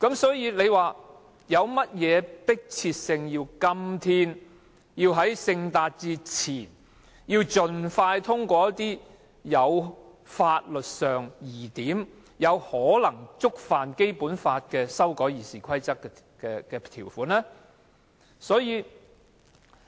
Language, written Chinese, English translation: Cantonese, 所以，為何如此迫切，要在今天、在聖誕節前盡快通過一些法律上有爭議且可能抵觸《基本法》的《議事規則》修訂？, So what is so urgent that we have to pass as soon as possible a number amendments to RoP that are controversial in law and may contravene the Basic Law today before the Christmas holidays?